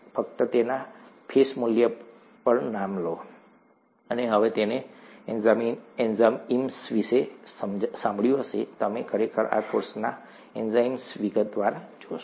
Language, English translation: Gujarati, Just take the name on its face value, and now you might have heard of enzymes, you will actually look at what enzymes are in detail in this course